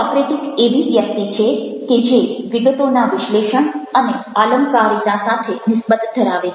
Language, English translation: Gujarati, the socratic is the individual who is most concerned with rhetoric and the analysis of details